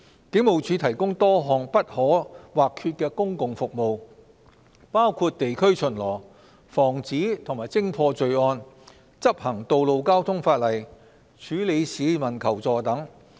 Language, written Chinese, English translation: Cantonese, 警務處提供多項不可或缺的公共服務，包括地區巡邏、防止及偵破罪案、執行道路交通法例、處理市民求助等。, The Hong Kong Police provides various indispensable public services including precinct patrol crime prevention and detection traffic regulations enforcement and responding to assistance requests made by members of the public